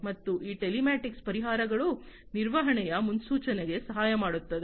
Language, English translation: Kannada, And these telematic solutions can help in forecasting maintenance etcetera